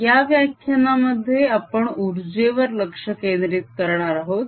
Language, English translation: Marathi, in this lecture i want to focus on the energy